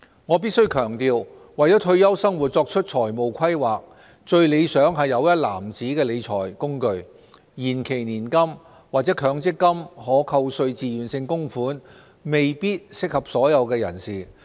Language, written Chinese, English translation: Cantonese, 我必須強調，為退休生活作出財務規劃，最理想是有一籃子的理財工具，延期年金或強積金可扣稅自願性供款未必適合所有人士。, I have to emphasize that in terms of financial planning for retirement it is best to have a basket of financial management instruments and deferred annuities or MPF TVCs may not be suitable for everyone